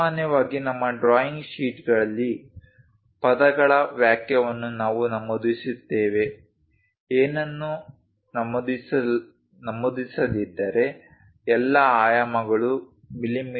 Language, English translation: Kannada, Usually on our drawing sheets we mention a word sentence, unless otherwise specified all dimensions are in mm